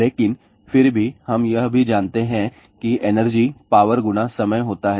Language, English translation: Hindi, But however, we also know that energy is power multiplied by time